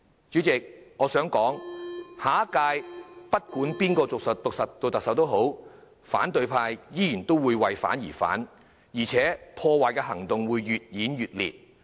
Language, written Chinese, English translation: Cantonese, 主席，我想指出下屆政府不管由誰擔任特首，反對派仍會為反對而反對，而且破壞行動會越演越烈。, President I wish to point out that no matter who becomes the next Chief Executive the opposition will still oppose for the mere sake of opposing and their destructive actions will only escalate